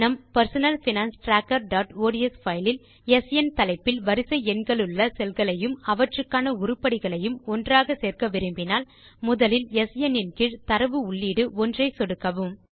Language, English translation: Tamil, In our personal finance tracker.ods file , if we want to merge cells containing the Serial Number with the heading SN and their corresponding items, then first click on the data entry 1 under the heading SN